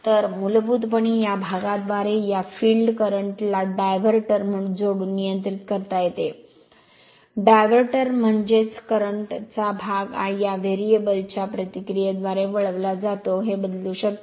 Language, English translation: Marathi, So, by this way part of your basically, you can control this field current by adding a diverter, diverter means part of the current is diverted through this variable resistance, you can vary this